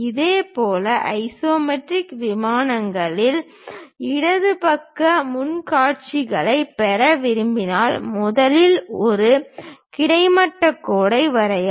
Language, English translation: Tamil, Similarly, if we would like to have left sided front view in the isometric planes first draw a horizontal line